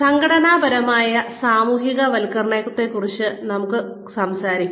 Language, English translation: Malayalam, Let us talk a little bit about, organizational socialization